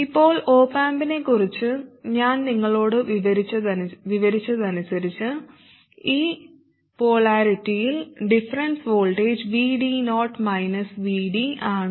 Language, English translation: Malayalam, Now, going by what I described to you just about the op amp, the difference voltage in this polarity is VD 0 minus VD